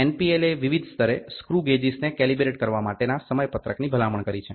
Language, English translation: Gujarati, NPL has recommended schedules for calibrating the screw gauges at different level